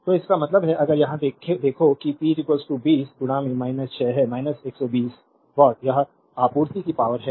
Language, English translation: Hindi, So; that means, if you look at here that p 1 is equal to 20 into minus 6 that is minus 120 watt this is the supplied power